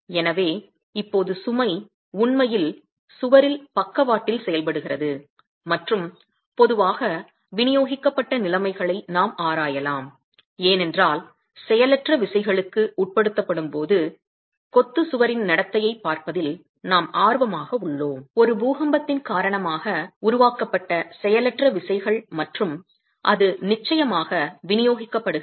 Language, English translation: Tamil, So now the load is actually acting laterally on the wall and we can examine typically in distributed conditions because we are interested in looking at the behavior of the masonry wall when subjected to either inertial forces, inertial forces generated due to an earthquake and that's distributed load